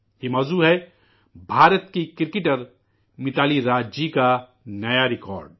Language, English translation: Urdu, This subject is the new record of Indian cricketer MitaaliRaaj